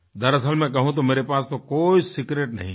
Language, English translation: Hindi, To tell you the truth, I have no such secret